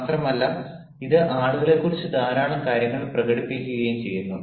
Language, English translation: Malayalam, moreover, it also, ah expresses a lot of things about people